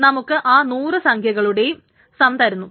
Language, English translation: Malayalam, Now of course this gives you the sum of all the hundred numbers